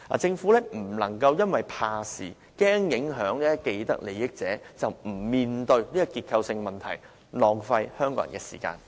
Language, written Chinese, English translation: Cantonese, 政府不能因為怕事，害怕影響既得利益者而不面對這個結構性問題，浪費香港人的時間。, The Government must not shrink from this structural problem and waste Hong Kong peoples time due to its fear of affecting those with vested interests